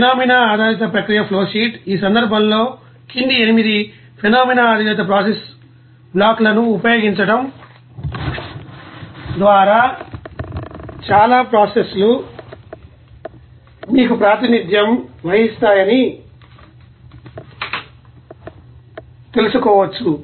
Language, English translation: Telugu, And this you know phenomena based process flowsheet, in that case most process can be you know represented by using the following 8 phenomena based process blocks